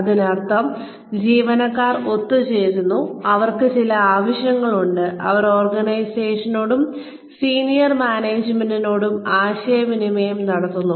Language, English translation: Malayalam, Which means, the employees get together, and , they have certain needs, that they communicate to the organization, to the senior management, in the organization